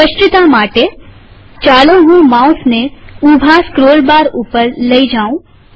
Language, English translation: Gujarati, To illustrate this, let me take the mouse to the vertical scroll bar